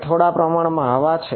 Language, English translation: Gujarati, There is some amount of air